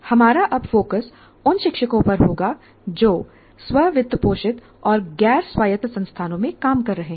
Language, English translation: Hindi, As they constitute, our focus now will be on teachers who are working in the self financing non autonomous institutions